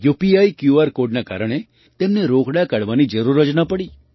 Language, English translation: Gujarati, Because of the UPI QR code, they did not have to withdraw cash